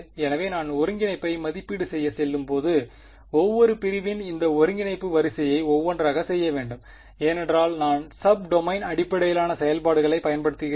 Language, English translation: Tamil, So, when I go to evaluate the integral I have to do this integration sort of each segment one by one ok, that is because I am using sub domain basis functions